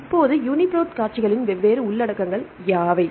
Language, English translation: Tamil, Now what are the different contents of UniProt sequences